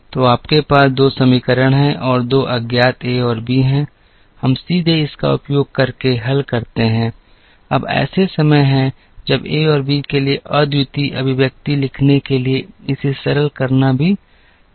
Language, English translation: Hindi, So, you have 2 equations and 2 unknowns a and b, we can directly solve using this, now there are times it is also possible to simplify this to write unique expressions for a and b